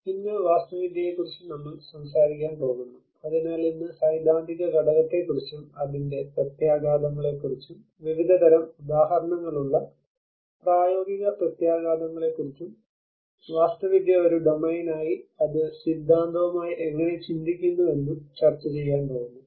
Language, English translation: Malayalam, Today, we are going to talk about architecture at risk, so today we are going to discuss about the theoretical component along with the implications, the practical implications with various variety of examples and how architecture as a domain it contemplates with the theory